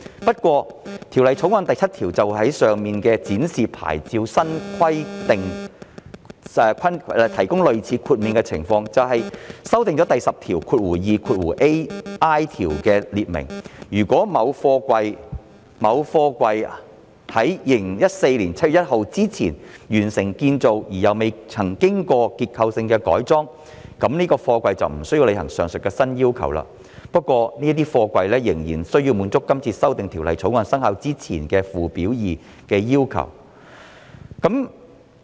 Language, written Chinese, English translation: Cantonese, 不過，《條例草案》第7條就上述展示牌照新規定提供類似豁免的情況，即修訂第 102ai 條，訂明如某貨櫃於2014年7月1日之前完成建造而又未曾經過結構性的改裝，就該貨櫃便不需要履行上述的新要求，但仍須滿足《條例草案》生效之前的附表2的要求。, However clause 7 of the Bill provides a quasi - exemption from the new requirements for the display of SAPs namely by amending section 102ai to provide that if the construction of a container was completed before 1 July 2014 and no structural modification has ever been made to the container it is not subject to the aforesaid new requirements but must still meet the requirements in Schedule 2 as in force immediately before the commencement date of the Ordinance